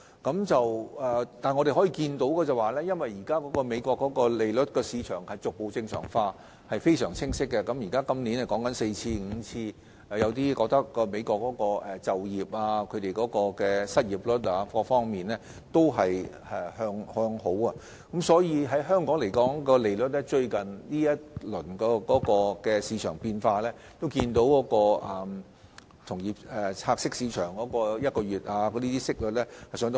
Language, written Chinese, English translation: Cantonese, 不過，我們可以清晰看到，現時美國利率市場逐步正常化，今年已經加息4至5次，亦有意見認為美國的就業率、失業率等各方面正在向好，從香港最近的利率市場變化可見，同業拆息市場的息率急速上升。, Nevertheless we can clearly see that the normalization process of the United States interest rate market is gradually taking place and interest rates have increased four or five times already . There are also views that improvements in employment rate and unemployment rate etc . are taking place in the United States